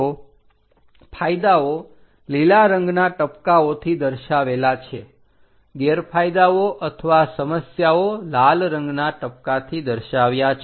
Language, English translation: Gujarati, So, the advantages are shown in green colour dots, the disadvantages or problems are shown in red colour dots